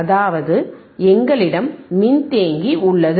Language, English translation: Tamil, So, I have no capacitor here